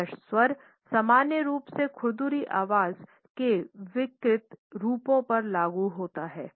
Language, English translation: Hindi, Hoarse voice is normally applied to pathological forms of rough voice